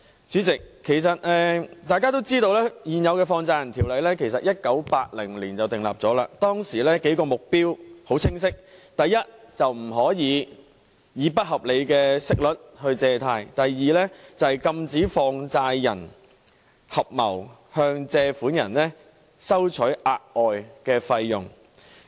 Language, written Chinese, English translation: Cantonese, 主席，大家都知道現行的《放債人條例》在1980年制定，當時的數個目標很清晰：第一，不能以不合理的息率借貸；第二，禁止放債人合謀向借款人收取額外費用。, President as we all know the existing Money Lenders Ordinance was enacted in 1980 with several very clear goals First the rates of borrowing must not be unreasonable; and second money lenders are prohibited from levying extra charges on borrowers